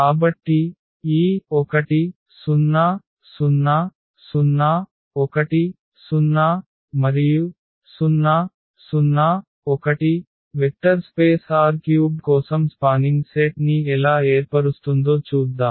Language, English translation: Telugu, So, let us check whether how this 1 0 0, 0 1 0 and 0 0 1 form a spanning set for the vector space R 3